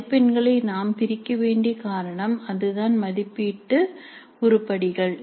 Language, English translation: Tamil, So that is the reason why we need to split the marks into assessment items